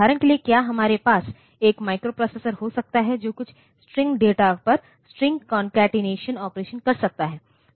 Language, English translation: Hindi, For example, can we have a microprocessor that performs say the string concatenation operation on some string data